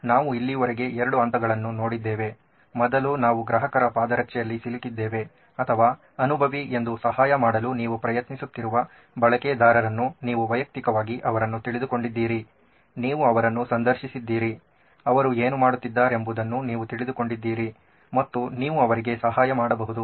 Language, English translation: Kannada, We have looked at two stages so far, first was we got into the shoes of the customer or the user who are you are trying to help that was the empathize, you got to know them personally, you got to interview them, you got to know what they were going through that you can help out with